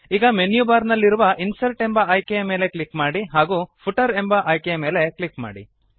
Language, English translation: Kannada, Now click on the Insert option in the menu bar and then click on the Footer option